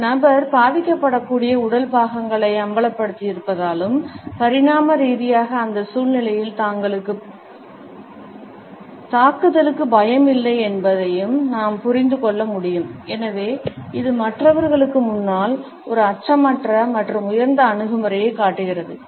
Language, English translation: Tamil, Because the person has exposed the vulnerable body parts and in evolutionary terms we can understand it as having no fear of attack in that situation and therefore, it displays a fearless and superior attitude in front of the other people